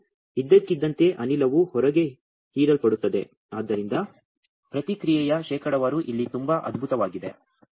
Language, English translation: Kannada, And suddenly the gas will defuse inside also absorbed outside so response percent is very fantastically high here